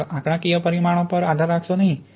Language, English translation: Gujarati, Don’t just rely on numerical parameters